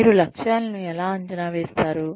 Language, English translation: Telugu, How do you assess objectives